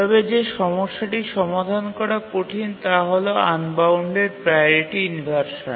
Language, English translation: Bengali, But what really is a problem which is hard to solve is unbounded priority inversion